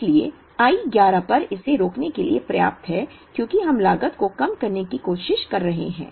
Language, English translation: Hindi, So, it is enough to stop this at I 11, because we are trying to minimise the cost